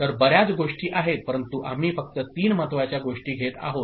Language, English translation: Marathi, So, there are quite of few, but we just take up three important ones